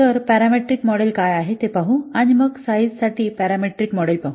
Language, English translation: Marathi, So let's see what is a parameter model and then we'll see the parameter model for size